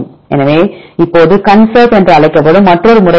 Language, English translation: Tamil, So, now, there is another method this is called ConSurf